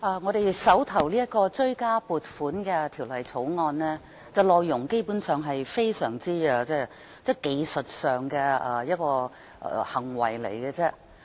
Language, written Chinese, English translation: Cantonese, 我們手上的《追加撥款條例草案》的內容基本上只屬技術性質。, Basically the contents of the Supplementary Appropriation 2016 - 2017 Bill the Bill on hand are just technical in nature